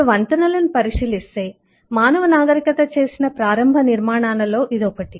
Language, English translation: Telugu, so if you look into bridges, this is one of the earliest constructions that eh the human civilization had to do